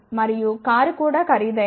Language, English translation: Telugu, And even the car would be expensive